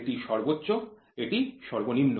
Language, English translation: Bengali, So, this is minimum and this is maximum